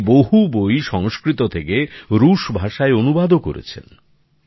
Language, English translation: Bengali, He has also translated many books from Sanskrit to Russian